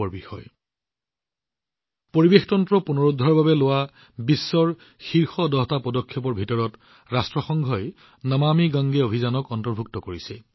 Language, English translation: Assamese, The United Nations has included the 'Namami Gange' mission in the world's top ten initiatives to restore the ecosystem